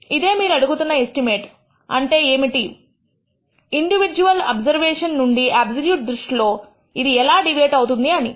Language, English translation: Telugu, That is you are asking what is the estimate which deviates from the individual observations in the absolute sense to the least extent